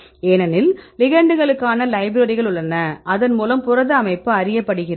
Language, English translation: Tamil, We can do right because we have a set of libraries for the ligands, protein structure is known